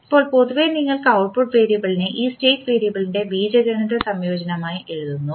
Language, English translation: Malayalam, Now, in general, you will write output variable as algebraic combination of this state variable